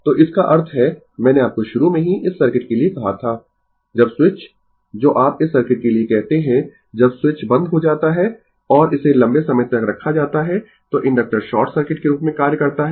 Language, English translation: Hindi, So that means, I told you initially for this circuit when switch is your what you call for this circuit, when switch is closed and placed it for a long time, so inductor acts as a short circuit